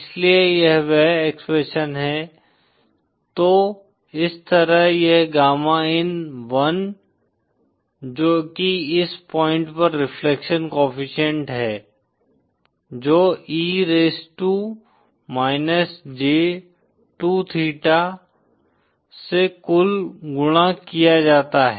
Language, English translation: Hindi, So this is the expression, so this is like gamma in1 which is the reflection coefficient at this point multiplied the total by e raised to –j2 theta